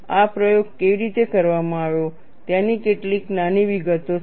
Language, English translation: Gujarati, These are certain minor details on how the experiment was done